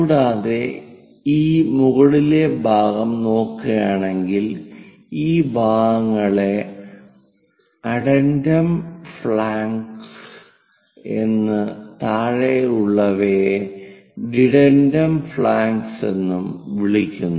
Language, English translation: Malayalam, And if we are looking at this top portion that flanks are called addendum flanks and the down ones are called dedendum flanks